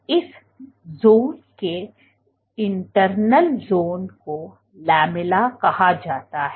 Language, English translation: Hindi, And this zone internal zone is called the lamella